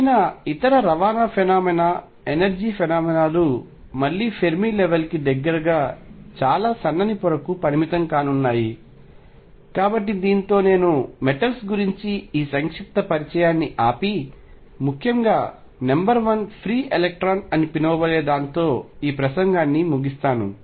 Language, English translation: Telugu, Any other transport phenomenon energy phenomena as again going to be confined to very thin layer near the Fermi level, so with this I stop this brief introduction to metals and conclude this lecture by stating that number one, free electron or which is also known as free electron gas provides a reasonably good first approximation to metals